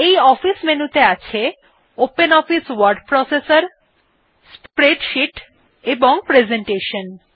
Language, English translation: Bengali, Then further in this office menu we have openoffice word processor, spreadsheet and presentation